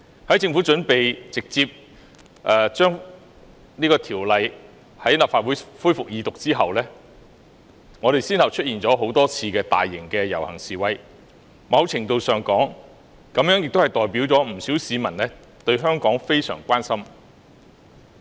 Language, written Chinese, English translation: Cantonese, 當政府準備直接把有關《條例草案》提交立法會恢復二讀後，香港先後出現了多次大型遊行示威，在某程度上，這代表了不少市民對香港非常關心。, When the Government was prepared to table the relevant Bill at the Council to resume the Second Reading direct various large - scale rallies and demonstrations took place in Hong Kong one after another . To a certain extent it shows that many members of the public care much about Hong Kong